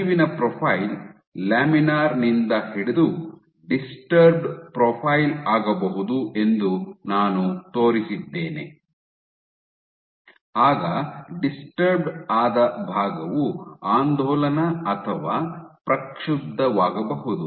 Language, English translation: Kannada, And I showed you how by if the flow profile can change from laminar to disturbed, as part of being disturbed can be oscillatory or turbulent